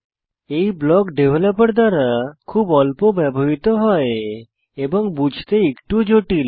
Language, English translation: Bengali, These blocks are used rarely by developers and are a bit difficult to understand